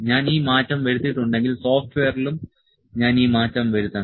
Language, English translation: Malayalam, If, I have made this change, I have to put this change in the software as well